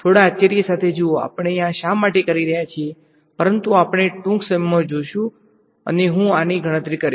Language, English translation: Gujarati, Look a little mysterious, why we are doing it, but we will soon see and I calculate this